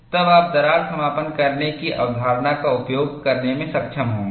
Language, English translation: Hindi, Then, you will be able to use concept of crack closure